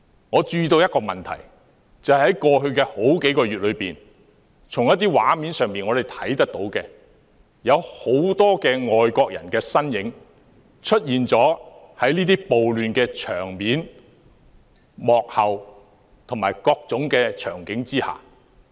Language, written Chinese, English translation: Cantonese, 我注意到一個問題，就是在過去數月，我們從一些畫面上看到有很多外國人的身影，出現在這些暴亂場面、幕後及各種場景中。, One problem I noticed is that over the past few months we have seen from some video footage the presence of a number of foreigners at the scenes of riots behind the scenes and in various settings